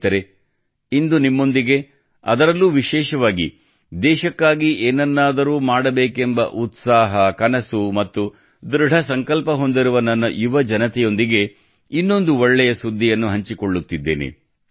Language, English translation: Kannada, Friends, today I am sharing with you another good news, especially to my young sons and daughters, who have the passion, dreams and resolve to do something for the country